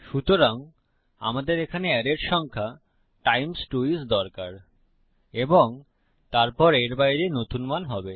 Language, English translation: Bengali, So I need the number in the array here times 2 is and then outside of this is going to be the new value